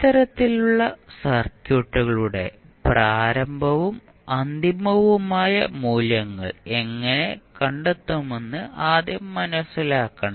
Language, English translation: Malayalam, Now, the first thing which we have to understand that how we will find the initial and final values for these types of circuits